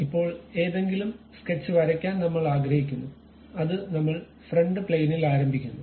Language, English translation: Malayalam, Now, any sketch we would like to draw that we begin it on front plane